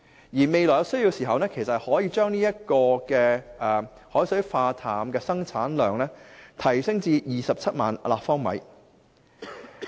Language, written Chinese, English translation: Cantonese, 如果未來有需要，可把海水化淡廠的生產量提升至27萬立方米。, If required the production capacity of the desalination plant can be raised to 270 000 cu m in future